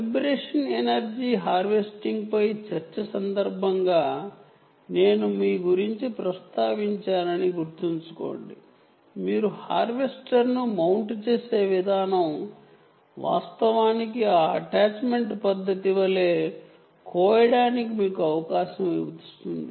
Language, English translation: Telugu, and remember i mentioned to you about during the discussion on vibration energy harvesting: the way by which you mount the harvester actually gives you the opportunity for harvesting, quite like that